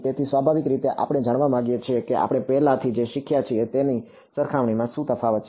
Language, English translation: Gujarati, So, naturally we want to find out what are the differences compared to what we already learnt ok